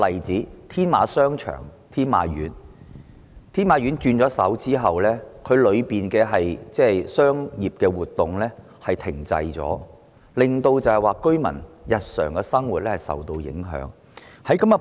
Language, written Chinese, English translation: Cantonese, 在天馬商場易手後，裏面的商業活動停滯，令居民日常生活受到影響。, After the change of ownership the commercial activities in the Tin Ma Court Commercial Centre have come to a halt thus affecting the daily living of the residents